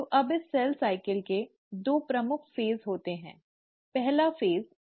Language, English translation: Hindi, So the cell cycle has the major part which is the interphase